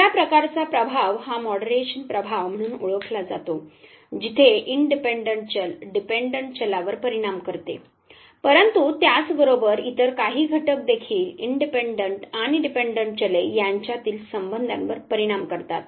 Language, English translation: Marathi, The other type of effect is what is called as the moderation effect, where the independent variable affects the dependent variable, but then there are certain other factors as well which affects this relationship between the independent and the dependent variable